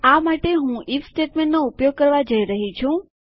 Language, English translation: Gujarati, For this I am going to use an IF statement